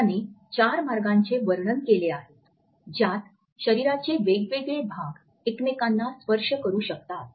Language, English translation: Marathi, He has illustrated four ways and different body parts can touch each other